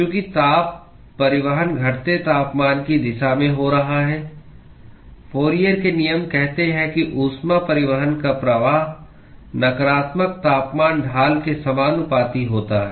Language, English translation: Hindi, Because the heat transport is occurring in the direction of the decreasing temperature, the Fourier’s laws states that the flux of heat transport is proportional to the negative temperature gradient